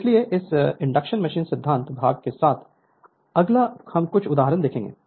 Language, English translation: Hindi, So, with this induction machine theory part is complete next we will see few examples